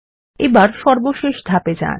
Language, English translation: Bengali, And go to the final step